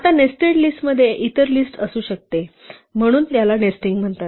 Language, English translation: Marathi, Now, nested list can contain other list, so this is called nesting